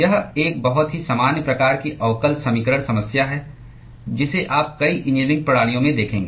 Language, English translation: Hindi, It is a very, very common type of differential equation problem that you will see in many, many engineering systems